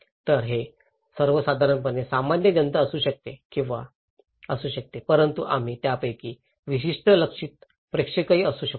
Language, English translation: Marathi, So, it could be general basically, general public but we among them may be particular target audience